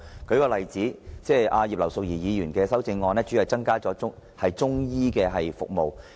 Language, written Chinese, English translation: Cantonese, 舉例而言，葉劉淑儀議員的修正案主要是要求增加中醫服務。, For example Mrs Regina IPs amendment mainly seeks to increase the provision of Chinese medicine service